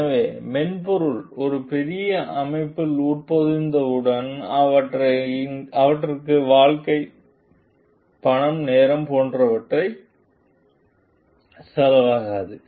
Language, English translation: Tamil, So, that once the software gets embedded in a bigger system it does not cost life, money, time etcetera